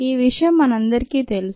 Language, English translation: Telugu, we all know this